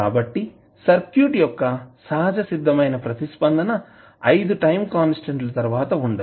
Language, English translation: Telugu, So, when you will see the circuit the natural response essentially dies out after 5 time constants